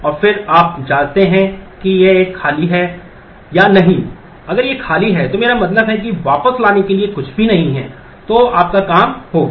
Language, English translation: Hindi, And then you check whether it is empty or not, if it is empty then the I mean there is nothing to bring back, so you are done